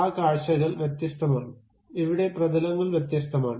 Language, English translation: Malayalam, Those views are different; here planes are different